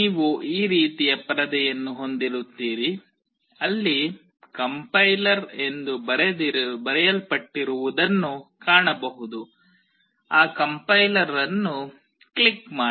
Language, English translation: Kannada, You will have a screen like this where you will find something which is written called compiler; click on that complier